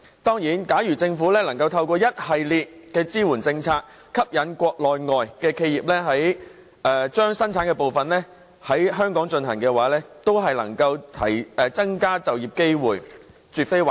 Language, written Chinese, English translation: Cantonese, 當然，如政府可以透過一系列支援政策，以吸引國內外企業把部分生產程序搬往香港進行的話，增加就業機會，這絕非壞事。, Certainly if the Government can introduce a series of measures to attract Mainland and overseas enterprises to relocate their production lines to Hong Kong thereby increasing the number of job opportunities it is absolutely not a bad thing